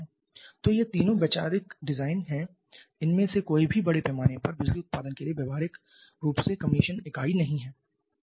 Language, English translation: Hindi, So, these 3 are all conceptual designs none of them are having any practically commissioned unit for large scale power production